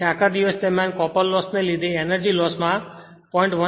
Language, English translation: Gujarati, Therefore, energy loss due to copper loss during the whole day you add 0